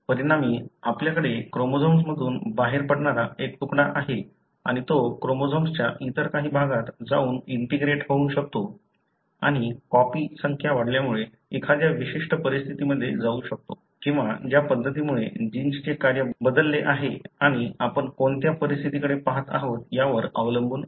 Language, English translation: Marathi, As a result, you have a fragment that comes out of the chromosome, and, may go and integrate into some other region of the chromosome and that may end up in some conditions because of increase in the copy number, or the way the genes function is altered and depending on what conditions you are looking at